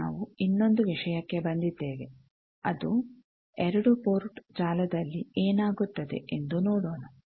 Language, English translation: Kannada, Now, we come to another thing that let us see in a 2 port network